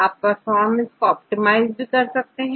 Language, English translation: Hindi, And you can optimize the performance